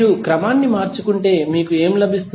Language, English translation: Telugu, If you rearrange what you will get